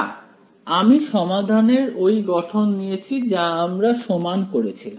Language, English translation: Bengali, No right I took the form of the solution I equated it